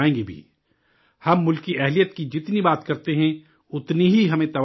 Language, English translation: Urdu, The more we talk about the industriousness of the country, the more energy we derive